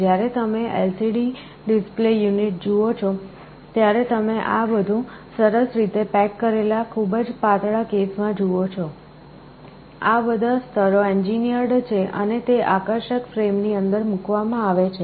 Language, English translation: Gujarati, When you see an LCD display unit, you see everything in a nicely packaged case, very thin, all these layers are engineered and put inside that sleek frame